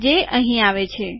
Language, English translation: Gujarati, It comes here